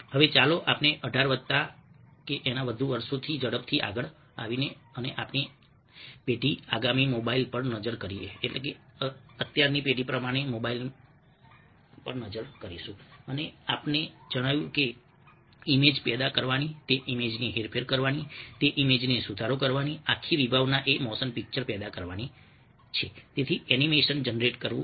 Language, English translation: Gujarati, now lets come first forward eighteen plus years and look at our generation next, mobiles and we that the entire concept of generating an image, manipulating that image, editing that image is a rather generating a motion motion picture